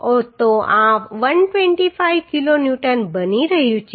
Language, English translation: Gujarati, So this is becoming 125 kilo Newton